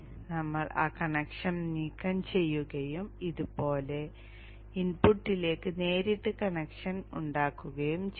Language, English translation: Malayalam, We will remove that connection and we will make a direct connection to the input like this